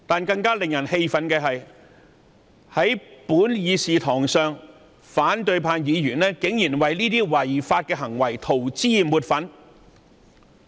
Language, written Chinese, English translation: Cantonese, 更令人氣憤的是，反對派議員竟然在本議事堂為這些違法行為塗脂抹粉。, What is even more outraging is that opposition Members now whitewash such illegal behaviour in the Chamber